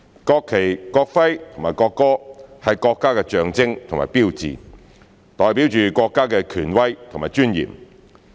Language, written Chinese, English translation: Cantonese, 國旗、國徽和國歌，是國家的象徵和標誌，代表着國家的權威和尊嚴。, The national flag the national emblem and the national anthem are the symbol and sign of the country representing the authority and dignity of the country